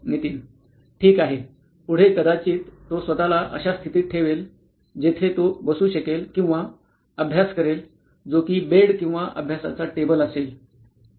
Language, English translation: Marathi, Ok, next would be probably placing himself in a position where he can seat in or seat and study which could be he is bed or study table